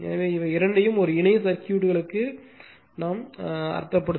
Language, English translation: Tamil, So, the this means these two in for these to a parallel circuits